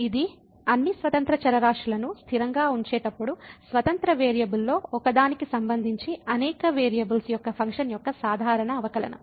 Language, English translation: Telugu, It is a usual derivative of a function of several variables with respect to one of the independent variable while keeping all other independent variables as constant